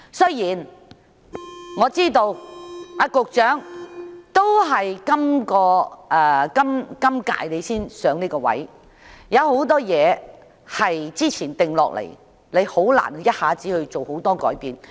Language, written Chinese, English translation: Cantonese, 雖然我知道局長是在今屆才上任，有很多事情是之前已經定下，難以一下子作出大量改變。, I know the Secretary assumed office in this term prior to which a lot of things had already been determined . It is difficult to make too many changes all at once . However he is a young man